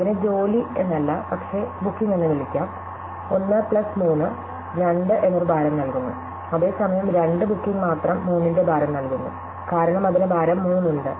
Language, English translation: Malayalam, So, job, not job, but let us call it booking 1 plus 3 gives a weight of 2, whereas booking 2 alone gives a weight of 3, because it has a weight 3